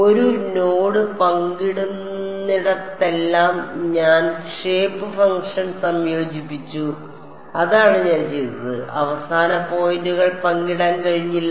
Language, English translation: Malayalam, Wherever a node were shared I combined the shape function that is what I did, the end points could not be shared